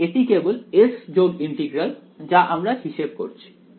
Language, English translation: Bengali, So, this is the only the s plus integral is what I am calculating